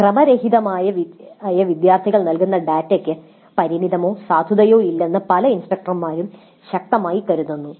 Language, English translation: Malayalam, Many instructors strongly feel that the data provided by irregular within courts, irregular students has limited or no validity